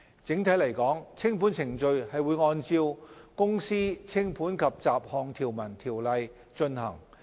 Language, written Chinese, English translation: Cantonese, 整體來說，清盤程序會按照《公司條例》進行。, Generally the winding - up procedures will be carried out in accordance with the Companies Ordinance Cap